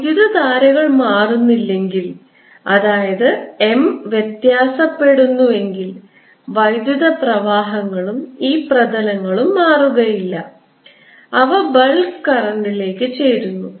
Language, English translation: Malayalam, if the currents don't change, that means if m varies, then the currents and these surfaces do not change and they contribute to the bulk current